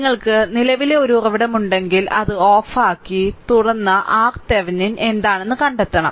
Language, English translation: Malayalam, If you have a current source, you have to open it that is turned off and find out what is R Thevenin, right